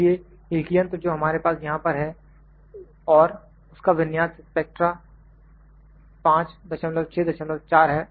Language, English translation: Hindi, So, the single machine that we have here, I will the configuration of that is it is spectra 5